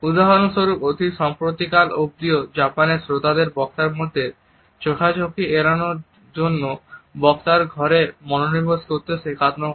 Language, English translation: Bengali, For example, up till very recently in Japan listeners are taught to focus on the neck of the speaker and avoid a direct eye contact because they wanted to pay respect to the speaker